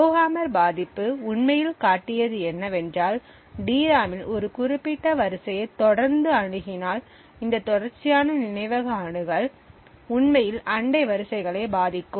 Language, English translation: Tamil, What the Rowhammer vulnerability actually showed was that if a particular row in the DRAM was continuously accessed this continuous memory access could actually influence the neighbouring rows